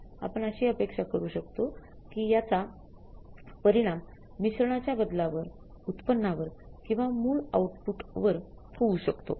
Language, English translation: Marathi, We can expect that there might be the effect of this change in the mix on the yield or on the actual output